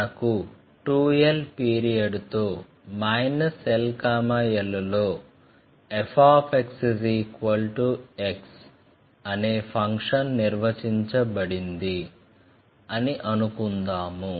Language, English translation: Telugu, And let us see, we have a function f x which is defined in the period in minus l to l with a period 2 l